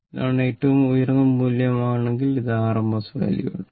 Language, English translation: Malayalam, So, when you do it this thing in rms value